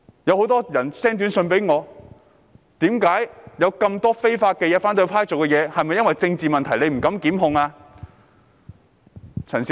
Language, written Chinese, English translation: Cantonese, 很多人向我發短訊，指反對派做了很多違法的事，問到政府是否因政治問題而不敢檢控。, A number of people sent me short messages saying that the opposition camp had done tons of things against the law . They asked whether the Government dared not prosecute them due to political reasons